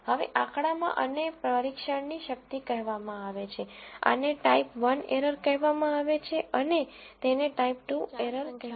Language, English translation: Gujarati, Now, in statistics this is called the power of the test, this is called a type one error and this is called the type two error